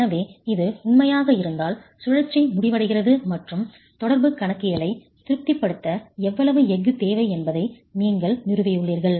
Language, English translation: Tamil, So, if this is true, the cycle ends and you have established how much steel is required to satisfy the interaction, accounting for the interaction itself